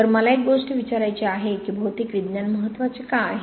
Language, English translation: Marathi, So one thing I would like to ask is why material science is important